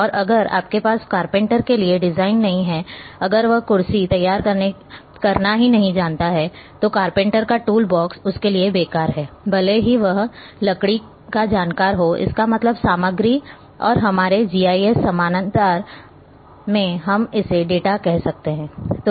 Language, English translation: Hindi, And if you do not have designs like for a carpenter if he doesn’t know how to prepare a chair then your the carpenter’s tool box is useless for him even if he is having wood that means, the material and in our GIS parallel we can call it as a data